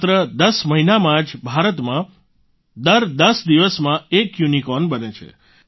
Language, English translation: Gujarati, In just 10 months, a unicorn is being raised in India every 10 days